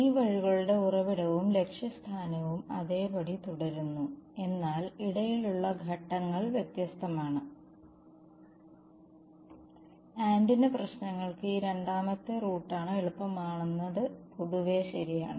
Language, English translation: Malayalam, The source and destination of these routes remains the same, but the intermediate steps are different and for antenna problems this is generally true that this second route is easier ok